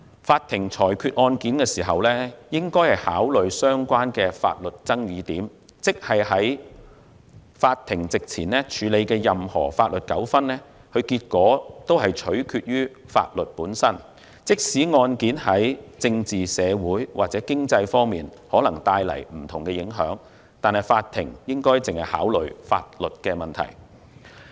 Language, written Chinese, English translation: Cantonese, 法庭裁決案件時，應考慮相關的法律爭議點，即在法庭席前處理的任何法律糾紛的結果，均取決於法律本身，即使案件在政治、社會或經濟方面可能帶來不同影響，但法庭只需考慮法律問題。, When a court decides a case it should consider the relevant disputes in point of law ie . the outcomes of any legal disputes handled before the court depend on the law itself even if the cases may have different political social or economic effects; yet the court only needs to consider legal issues